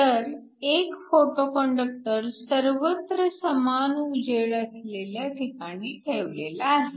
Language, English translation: Marathi, So, you have a photoconductor that is placed under uniform illumination